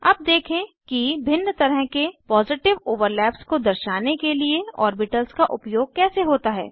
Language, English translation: Hindi, Let us see how to use orbitals to show different types of Positive overlaps